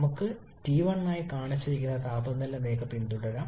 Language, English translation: Malayalam, Let us follow the temperature line shown as T1